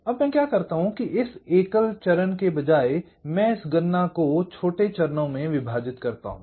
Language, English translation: Hindi, now what i do, what i say, is that instead of this single stage, i divide this computation into smaller steps